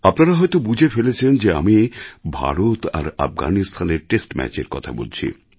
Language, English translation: Bengali, Of course you must have realized that I am referring to the test match between India and Afghanistan